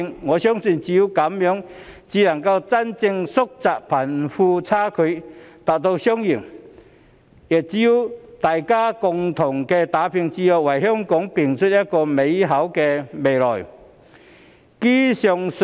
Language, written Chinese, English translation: Cantonese, 我相信只有這樣才能真正縮窄貧富差距，達致雙贏，也只有大家共同打拼，才能為香港拼出一個更美好的未來。, I believe that only by doing so can we truly narrow the disparity between the rich and the poor and achieve a win - win situation; and only by working together can we build a better future for Hong Kong